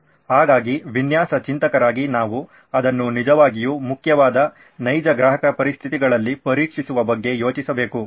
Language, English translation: Kannada, So we as design thinkers need to think about testing it in real customer conditions where it really matters